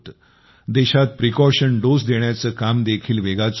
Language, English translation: Marathi, Precaution dose is also being rapidly administered in the country